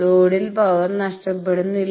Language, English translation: Malayalam, So, power is not lost at load